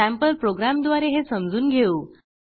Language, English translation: Marathi, Let us understand this using a sample program